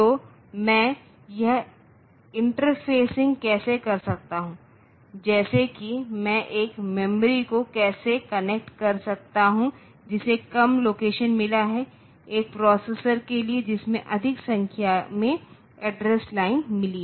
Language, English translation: Hindi, So, many address bits then how can I do this interfacing like how can I connect a memory that has got less number of locations to a processor that has got more number of address lines